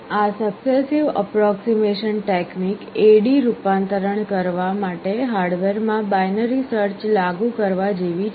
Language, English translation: Gujarati, This successive approximation technique is like implementing binary search in hardware in performing the A/D conversion